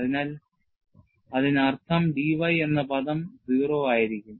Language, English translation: Malayalam, So, that means, the d y term will be 0